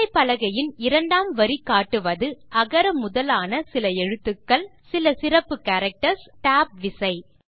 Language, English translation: Tamil, The second line of the keyboard comprises alphabets few special characters, and the Tab key